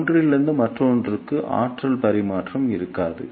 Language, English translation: Tamil, So, there will be no energy transfer from one to another